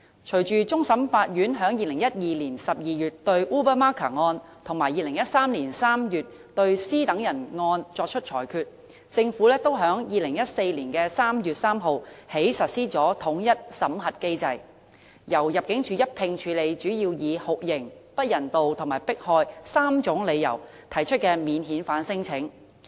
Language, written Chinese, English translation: Cantonese, 隨着終審法院在2012年12月對 Ubamaka 案，以及2013年3月對 C 等人案作出裁決，政府也在2014年3月3日起實施統一審核機制，由入境處一併處理主要以酷刑、不人道和迫害3種理由提出的免遣返聲請。, Following the handing down of judgments by the Court of Final Appeal in the Ubamaka case in December 2012 and in the C Ors case in March 2013 the Government started to implement the unified screening mechanism on 3 March 2014 whereby the Immigration Department will screen non - refoulement claims made on the three grounds of torture inhuman treatment and persecution